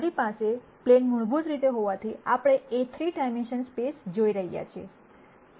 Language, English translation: Gujarati, Since I have a plane basically we are looking at a 3 dimensional space